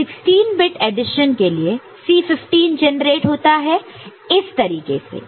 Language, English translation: Hindi, So, for you know 16 bit addition, so, C 15 is getting generated in this manner, right